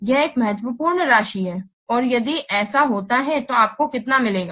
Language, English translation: Hindi, And if this is happen and if this happens, then how much you will get